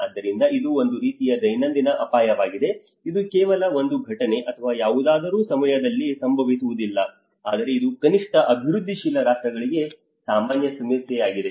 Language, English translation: Kannada, So this is a kind of everyday risk it is not just only happening during an event or anything, but it is a common problem for the developing at least the developing countries